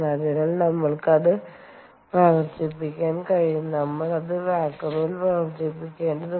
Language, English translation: Malayalam, so therefore you can operate, we have to operate it in vacuum